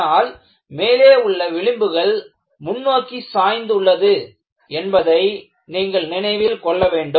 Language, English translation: Tamil, The other striking feature is the fringes in the top are tilted forward